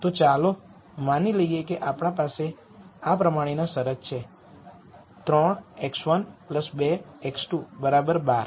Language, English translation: Gujarati, So, let us assume that we have a constraint of this form which is 3 x 1 plus 2 x 2 equals 12